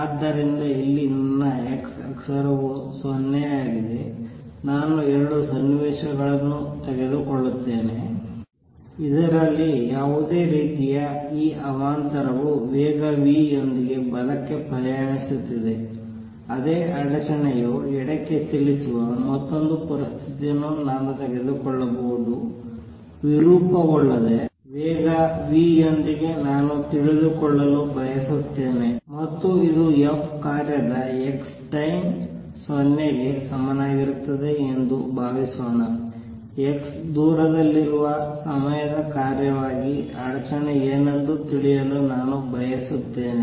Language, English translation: Kannada, So, here is my x axis here is 0, I will take 2 situations in one in which this disturbance which could be any kind is traveling to the right with speed v, I can take another situation in which the same disturbance travels to the left with speed v without getting distorted and I want to know, suppose this is function f of x at time t equals 0, I want to know what would the disturbance be as a function of time at a distance x